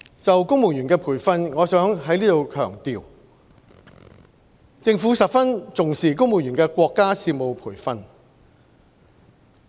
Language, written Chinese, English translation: Cantonese, 就公務員培訓，我想在此強調，政府十分重視公務員的國家事務培訓。, With regard to civil service training I would like to emphasize here that the Government attaches much importance to national affairs training for the civil servants